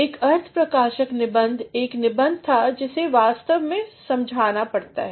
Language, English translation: Hindi, An expository essay was an essay, which actually had to be explained